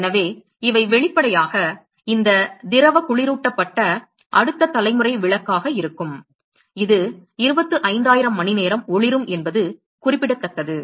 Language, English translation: Tamil, So, these, apparently these liquid cooled is going to be next generation bulb, it can glow for 25000 hours that is a remarkable